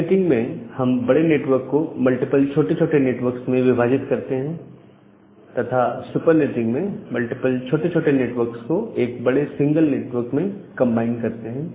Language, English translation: Hindi, So, the idea of sub netting is to divide a large network into multiple small networks and a idea of super netting is to combine multiple small networks into a single large network